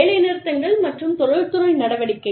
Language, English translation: Tamil, Strikes and industrial action